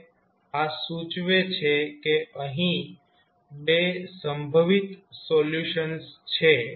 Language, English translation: Gujarati, Now, this indicates that there are 2 possible solutions